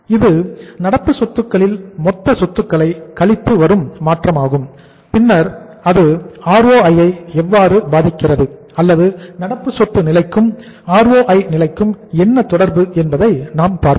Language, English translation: Tamil, That is total assets minus change in the current assets and then we will see that how it impacts the ROI or what is the relationship between the current assets level and the ROI level